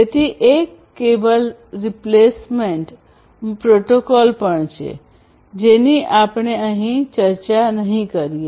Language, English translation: Gujarati, So, there is a cable replacement protocol which I am not going through over here